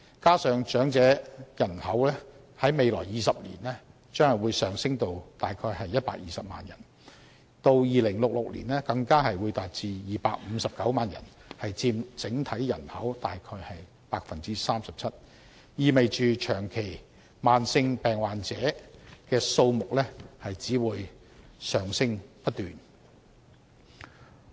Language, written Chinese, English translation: Cantonese, 此外，長者人口在未來20年將上升至約120萬人，至2066年更會達259萬人，佔整體人口約 37%， 意味着長期慢性病患者的數目只會不斷上升。, Besides the elderly population will rise to around 1.2 million in 20 years . And by 2066 it will even reach 2.59 million accounting for 37 % of the total population . This means that the number of chronic disease patients will only continue to rise